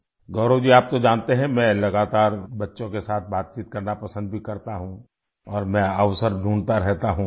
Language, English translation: Hindi, Gaurav ji, you know, I also like to interact with children constantly and I keep looking for opportunities